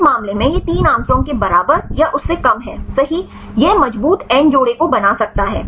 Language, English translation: Hindi, In this case it is less than or equal to 3 angstrom right it can form the strong end pairs right